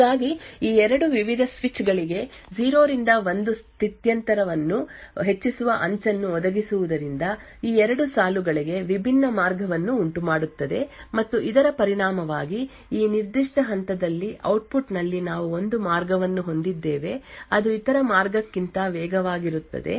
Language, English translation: Kannada, So thus we see over here that providing a rising edge 0 to 1 transition to these various switches would result in a differential path for these 2 lines and as a result, at the output at this particular point we have one path which is faster than the other